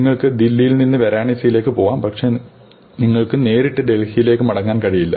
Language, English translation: Malayalam, You can go from Delhi to Varanasi, but you cannot come back directly to Delhi